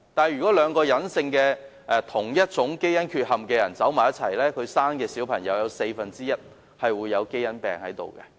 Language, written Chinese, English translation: Cantonese, 如果兩個有相同隱性基因缺憾的人結婚，他們所生的嬰孩有四分之一機會患上基因病。, If two people with identical recessive genetic defects get married there is a 25 % chance for their baby to suffer from genetic diseases